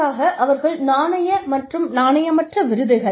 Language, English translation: Tamil, Monetary versus non monetary awards